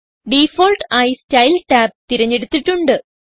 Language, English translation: Malayalam, By default, Style tab is selected